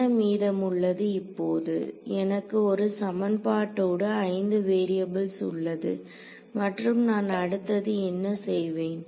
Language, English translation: Tamil, So, what remains now of course, is I have got one equation in 5 variables and what would I do next